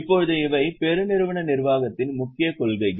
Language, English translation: Tamil, Now these are the main principles of corporate governance